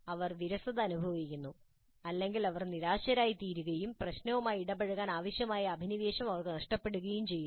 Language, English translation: Malayalam, They become bored or they become frustrated and they start losing the passion required to engage with the problem